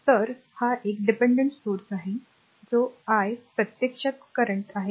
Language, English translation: Marathi, So, this is a dependent source that is ah i actually current is 0